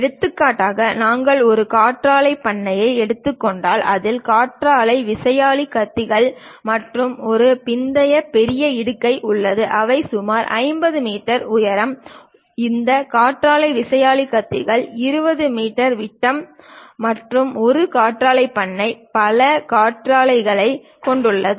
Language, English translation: Tamil, For example, if we are taking a wind farm, it contains wind turbine blades and a post massive post which might be some 50 meters height, some 20 meters diameter of these wind turbine blades, and a wind farm consists of many wind turbines